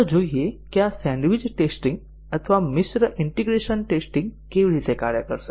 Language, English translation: Gujarati, Let us look at how is this sandwiched testing or mixed integration testing would work